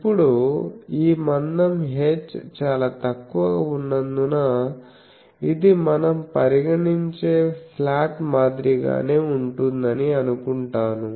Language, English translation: Telugu, So, now I will assume that since this h which is the thickness that is very small so, it is same as our slot we consider